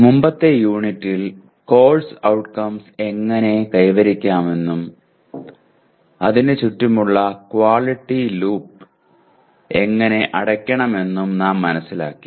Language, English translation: Malayalam, In the earlier unit we understood how to compute the attainment of Course Outcomes and close the quality loop around the COs